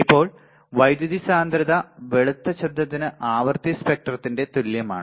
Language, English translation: Malayalam, Now, power density is nearly equal to the frequency spectrum approximately the white noise